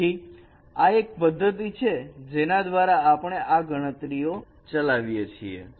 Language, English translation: Gujarati, So this is one of the method by which we have carried out these computations